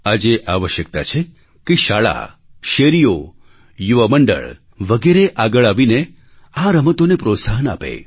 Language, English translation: Gujarati, It is crucial that today schools, neighbourhoods and youth congregations should come forward and promote these games